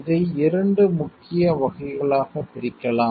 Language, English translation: Tamil, It can be divided into 2 main categories